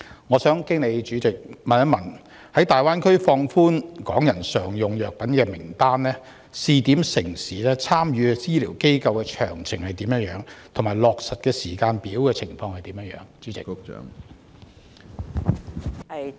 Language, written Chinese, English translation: Cantonese, 我想經主席問局長，在大灣區放寬香港人使用常用藥品的名單、試點城市、參與的醫療機構詳情和落實時間表為何？, I wish to ask the Secretary a question through the President . Will she tell me the list of commonly - used drugs to be relaxed for usage in the Greater Bay Area by Hong Kong residents the pilot municipalities details of the participating medical institutions and the implementation timetable?